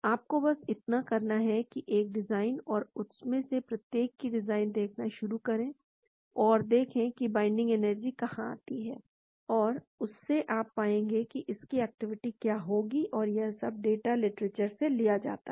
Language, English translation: Hindi, All you have to do is; a design and start docking each one of them and see where the binding energy comes and from there you will be able to predict what would be its activity and all this data is obtained from literature